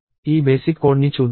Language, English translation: Telugu, So, let us see this basic code